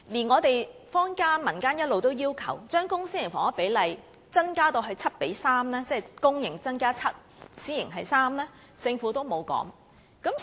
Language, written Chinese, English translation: Cantonese, 我們坊間一直要求把公、私營房屋的比例增加至 7：3， 即每7個公營房屋單位，便有3個私營房屋單位，但政府並無回應。, The community has all along requested an increase in the ratio of public to private housing to 7col3 that means for every seven public housing units there will be three private ones . Yet the Government has made no response at all